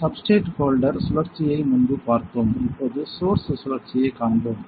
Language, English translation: Tamil, We have seen the substrate holder rotation before, now we will see the source rotation